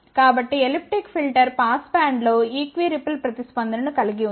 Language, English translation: Telugu, So, elliptic filter has this equi ripple response in the pass band